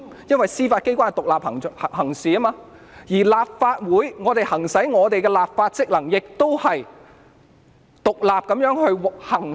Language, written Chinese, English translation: Cantonese, 因為司法機關是獨立行事的，而我們立法會議員行使的立法職能，也是獨立地行使......, Since the Judiciary is acting independently and we Members of the Legislative Council are also exercising our legislative functions independently